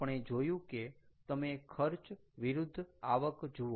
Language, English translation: Gujarati, we look at if you look at revenues and versus costs